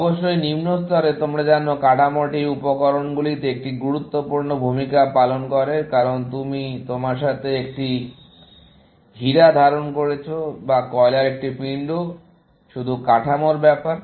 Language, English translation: Bengali, At a must lower level, you know, the structure plays an important role in materials, because whether you are holding a diamond in your hand, or a lump of coal; is just a matter of structure